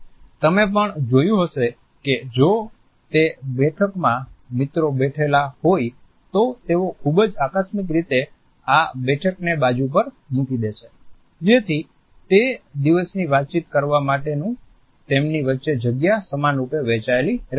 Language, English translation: Gujarati, You might have also noticed that if it is a seating where friends are seated, they would be very casually putting this sitting aside so, that to communicate the day space which is between them is equally shared